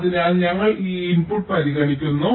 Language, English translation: Malayalam, so we consider this input